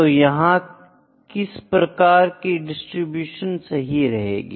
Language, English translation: Hindi, Then what distribution would fit here